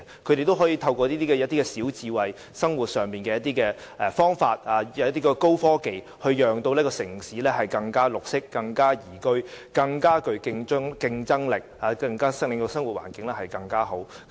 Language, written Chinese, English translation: Cantonese, 他們透過小智慧、生活上的方法及高科技，令城市更綠色、更宜居、更具競爭力，令生活環境更好。, Through small smart ideas means of daily living and high technology these places have succeeded in making their cities greener more livable and more competitive thereby creating a better living environment